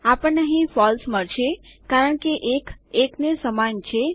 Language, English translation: Gujarati, Well get False here because 1 is equal to 1